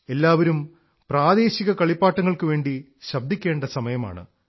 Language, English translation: Malayalam, For everybody it is the time to get vocal for local toys